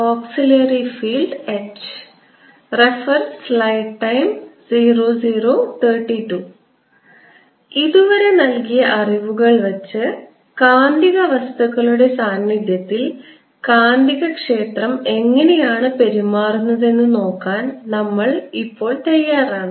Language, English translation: Malayalam, with the background given so far, we are now ready to look at how magnetic field behaves in presence of magnetic materials